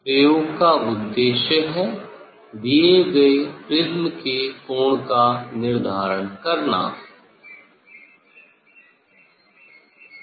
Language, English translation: Hindi, aim of the experiments determine the angle of the given prism